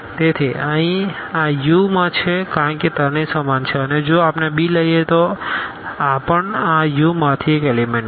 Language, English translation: Gujarati, So, here this belongs to U because all three are equal and if we take b this is also an element from this U